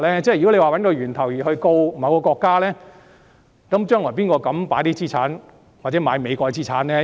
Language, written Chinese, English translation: Cantonese, 如果要找出病毒源頭而對某國提起訴訟，將來誰敢購買美國資產呢？, If the origin of the virus is to be identified and lawsuits are to be initiated against a country who dares to purchase American assets in the future?